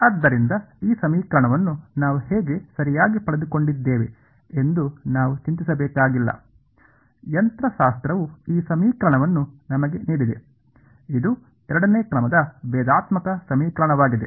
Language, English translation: Kannada, So, we need not worry how we got this equation right; mechanics has given this equation to us which is the second order differential equation right